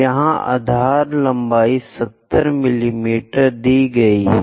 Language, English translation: Hindi, Here the base length 70 mm is given